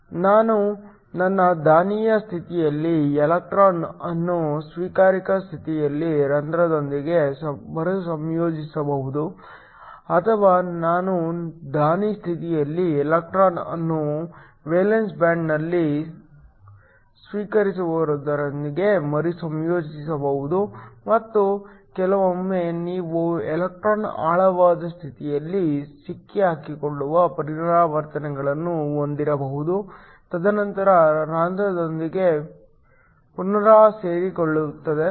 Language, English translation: Kannada, I could have an electron in my donor state recombining with the hole in the acceptor state or I could have an electron in the donor state recombining with the acceptor in the valence band and sometimes you can have transitions where the electron gets trapped in a deep state and then recombines with the hole